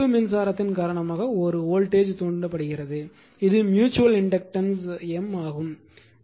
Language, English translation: Tamil, Because of this current i 2 a voltage will induce and this is your your mutual inductance was M